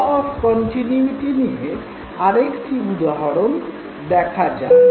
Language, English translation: Bengali, Let us look at another example of a law of continuity